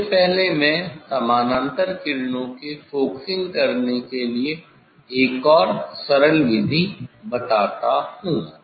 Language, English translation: Hindi, Before that let me tell another simple method to make to get the focusing for the parallel rays